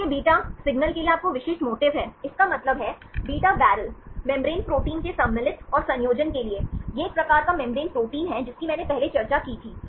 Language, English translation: Hindi, So, this is your specific motif for the beta signal; that means, for the insertion and assembly of beta barrel membrane proteins, this is a type membrane protein I discussed earlier right